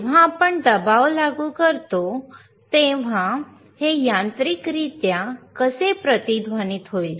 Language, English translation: Marathi, How this will mechanically resonate when we apply pressure,